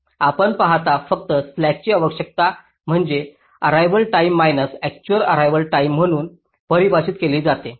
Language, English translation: Marathi, you see, just to recall, slack is defined as required arrival time minus actual arrival time